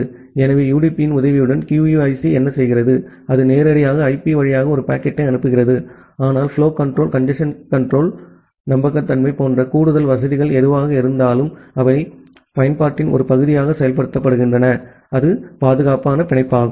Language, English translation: Tamil, So, with the help of UDP, what QUIC does, that it directly send a packet via IP, but whatever additional facilities like flow control, congestion control, reliability, all these things are there, they are implemented as a part of application with a secure binding